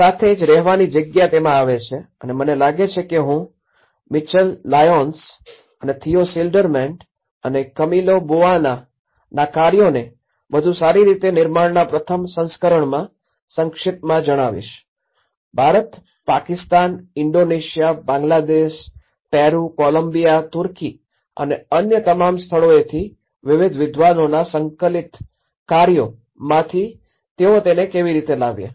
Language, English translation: Gujarati, That is where the lived space comes into it and I think I will summarize on how in the first version of build back better by Michal Lyons and Theo Schilderman and Camillo Boanaís work, how they even brought some of the compiled work of various scholars from different regions India, Pakistan, Indonesia, Bangladesh, Peru, Colombia, Turkey and all other places